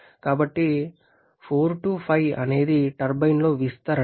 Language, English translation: Telugu, So, 4 5 is the expansion in the turbine